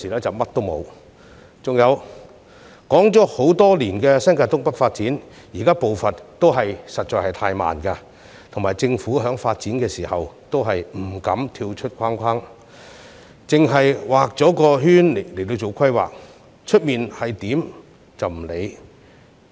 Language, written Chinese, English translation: Cantonese, 至於談論多年的新界東北發展，現時的步伐仍屬太慢，政府在發展時不敢逾越既定範圍，只會在其內作出規劃，完全不理會外圍情況。, As for the development in North East New Territories which we have been discussing for years the current pace is still too slow . Since the Government dares not go beyond the established scope of the development plan planning is only made within that scope with utterly no regard for the external circumstances